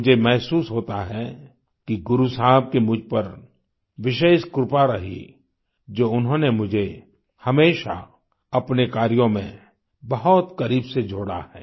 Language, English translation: Hindi, I feel that I have been specially blessed by Guru Sahib that he has associated me very closely with his work